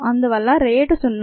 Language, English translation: Telugu, therefore, this rate is zero